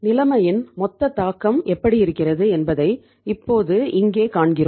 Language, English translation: Tamil, Now here we see that how the total impact of the situation is here